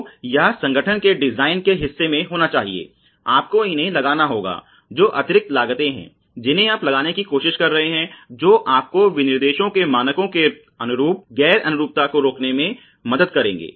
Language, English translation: Hindi, So, this has to be in the part of the design of the organization, you have to put these components which are additional costs which you are trying to impose which will rather prevent the you know non conformance to standards of specifications ok